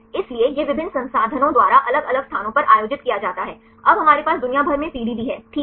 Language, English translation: Hindi, So, this is organized by the different institutions right different places now we have the worldwide PDB right fine